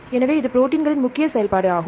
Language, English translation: Tamil, So, this is the major function of these proteins